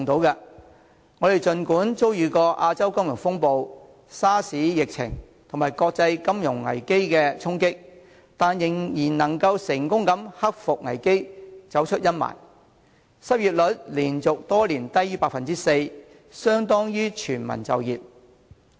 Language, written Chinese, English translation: Cantonese, 儘管我們曾遭遇亞洲金融風暴、SARS 疫情及國際金融危機的衝擊，但仍能克服危機，走出陰霾，失業率連續多年低於 4%， 相當於全民就業。, Even though we had been hit by the Asian financial turmoil the SARS epidemic and international financial crises we were able to overcome the crises and came out of the impasse . Our unemployment rate has remained below 4 % practically the level of full employment for many years in a row